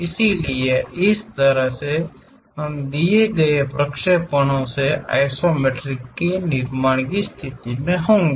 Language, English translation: Hindi, So, using this way we will be in a position to construct isometric views of given projections